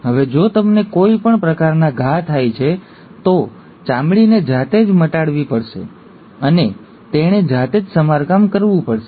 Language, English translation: Gujarati, Now if you have any kind of wounds taking place, the skin has to heal itself and it has to repair itself